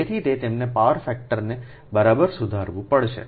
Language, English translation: Gujarati, thats why they have to improve the power factor right